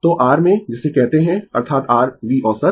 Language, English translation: Hindi, So, in in your what you call that is your V average